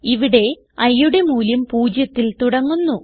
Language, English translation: Malayalam, Here, the value of i starts with 0